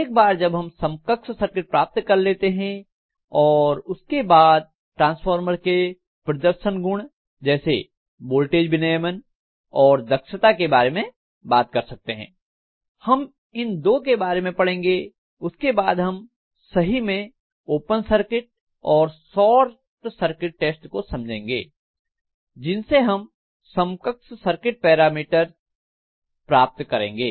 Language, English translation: Hindi, Once we have the equivalent circuit derived we should be able to really talk about the performance characteristics of the transformers like voltage regulation and efficiency, these two we will be talking about and after that we will be looking at actually open circuit and short circuit test or testing of transformers from which actually we derive the equivalent circuit parameters